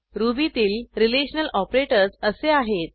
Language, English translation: Marathi, Ruby has following arithmetic operators